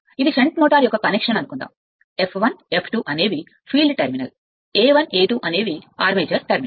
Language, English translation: Telugu, Suppose this is the connection of the shunt motor F 1, F 2 is the field terminal, A 1 A 2 armature terminal right